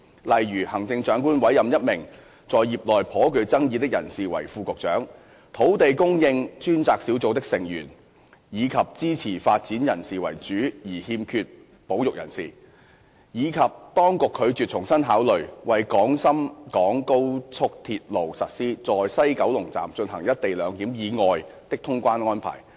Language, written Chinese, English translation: Cantonese, 例如，行政長官委任一名在業內頗具爭議的人士為副局長、土地供應專責小組的成員以支持發展人士為主而欠缺保育人士，以及當局拒絕重新考慮為廣深港高速鐵路實施"在西九龍站進行一地兩檢"以外的通關安排。, For example CE appointed a person who had attracted substantial controversies within the relevant sector to be an Under Secretary; the membership of the Task Force on Land Supply comprises mainly pro - development persons and lacks conservationists; and the authorities have refused to consider afresh the implementation of any immigration and customs clearance arrangements other than the co - location arrangement at the West Kowloon Station for the Guangzhou - Shenzhen - Hong Kong Express Rail Link